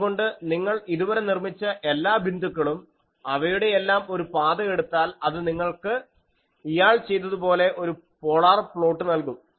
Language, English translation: Malayalam, So, every point now you made, and then take a locus of that, that will give you the polar plot as this fellow is doing